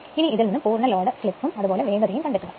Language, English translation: Malayalam, Find the full load slip and speed